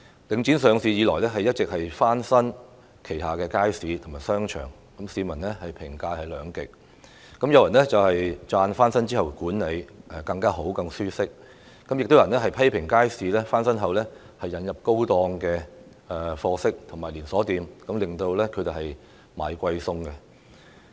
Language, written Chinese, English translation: Cantonese, 領展上市以來不斷翻新旗下的街市和商場，市民對此的評價兩極，有人稱讚設施翻新後管理更好，環境更舒適，但亦有人批評街市翻新後引入售賣高檔貨色的商戶和連鎖店，令居民"捱貴餸"。, Since its listing Link REIT has continuously renovated its markets and shopping arcades . Public comments have been polarized . Some people have applauded it as they think that the management is now better and the environment more comfortable after renovation of the facilities but some people have criticized that as shops and chain stores selling high - end goods have opened after renovation of the markets the residents are made to pay a higher price for food or provisions